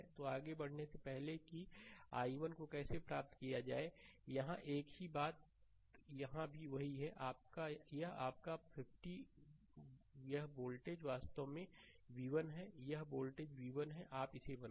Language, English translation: Hindi, So, before proceeding further how to obtain i 1 here, here is the same thing here also same thing this is your plus this voltage actually v 1, right, this voltage is v 1; you make it